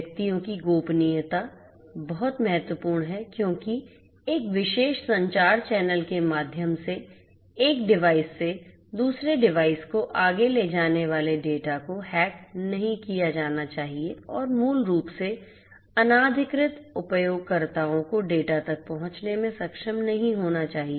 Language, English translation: Hindi, Privacy of the individuals is very important because the data that are being carried forward from one device to another through a particular communication channel should not be you know should not be hacked and you know so basically unauthorized users should not be able to get access to the data